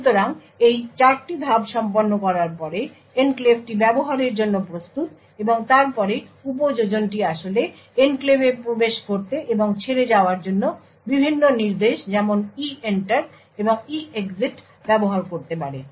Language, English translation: Bengali, So, after these 4 steps are done the enclave is ready to use and then the application could actually use various instruction EENTER and EEXIT to enter and leave the enclave